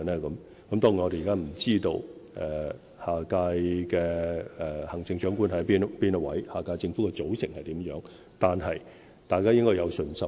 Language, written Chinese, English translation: Cantonese, 當然，我們不知道下屆行政長官是誰，也不知道下屆政府的組成為何，但大家應該有信心。, Admittedly we do not know who is going to be the next Chief Executive nor do we know the composition of the next Government but we should have faith